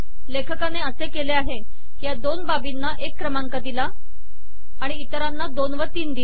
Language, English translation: Marathi, So what he does here is, so these two items are numbered one, and the others are numbered two and three